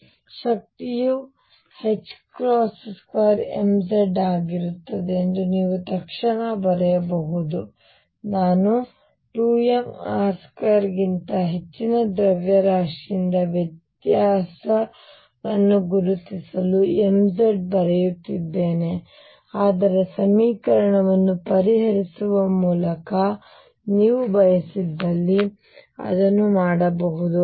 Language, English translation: Kannada, So, you can immediately write that the energy is going to be h cross square m z i am writing m z to differentiate from mass over 2 m r m z 2 square for to r square, but you can also do it if you want by solving the equation